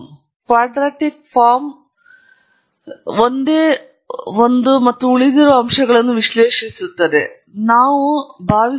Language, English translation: Kannada, We will assume that the quadratic trend is only one and analyse the residuals